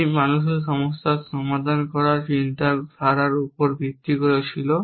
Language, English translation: Bengali, It was based on the way thought human beings solve problem